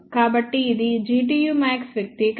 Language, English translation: Telugu, So, this is the expression for G tu max